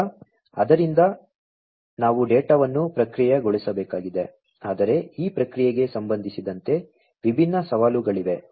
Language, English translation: Kannada, Now, the so, we have to process the data, but there are different challenges with respect to this processing